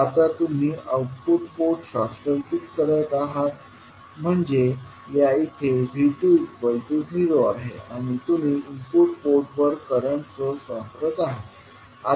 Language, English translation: Marathi, Now, you are making output port short circuit means V2 is 0 in this case and you are applying the current source I1 to the input port